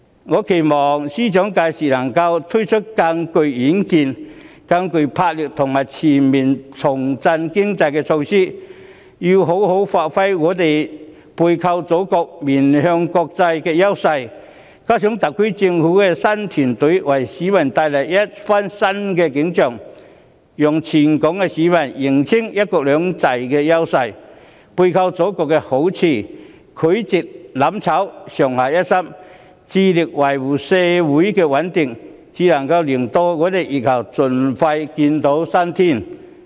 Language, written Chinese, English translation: Cantonese, 我期望司長屆時能夠推出更具遠見、更具魄力和更具前瞻性的重振經濟措施，要妥善發揮香港背靠祖國、面向國際的優勢；再加上特區政府的新團隊為市民帶來新景象，讓全港市民認清"一國兩制"的優勢，背靠祖國的好處，拒絕"攬炒"，上下一心，致力維護社會的穩定，才能令香港在疫後盡快見新天。, I hope that the Financial Secretary will put forward more farsighted dynamic and forward - looking measures to revive the economy and give full play to Hong Kongs advantage of having the Mainland as our hinterland while maintaining an international outlook . Moreover the new governing team of the SAR Government should paint a new picture for members of the public making them aware of the advantages of one country two systems and the benefits of leveraging the Mainland thereby refusing to burn together and committed to working in concerted effort to maintain social stability . Only in this way can Hong Kong see a bright future as soon as possible when the epidemic is over